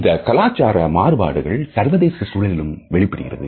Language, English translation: Tamil, These cultural differences are also exhibited in international situations